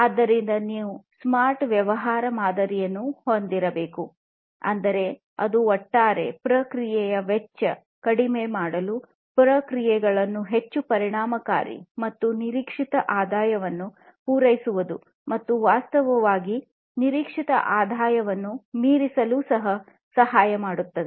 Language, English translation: Kannada, So, you need to have a smart business model, that is, that will help in reducing the overall process cost, making the processes more efficient and meeting the expected revenue and in fact, you know, exceeding the expected revenue